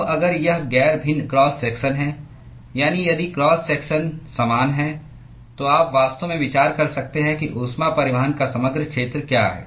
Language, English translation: Hindi, Now if it is non varying cross section that is if the cross section is same, then you could actually consider what is the overall area of heat transport